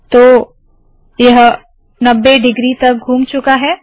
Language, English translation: Hindi, So this has been rotated by 90 degrees